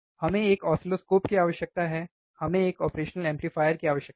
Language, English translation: Hindi, We need oscilloscope, and we need a operational amplifier